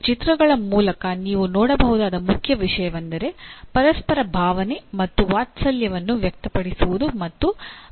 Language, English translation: Kannada, The main thing that you can see through these pictures is expressing and demonstrating emotion and affection towards each other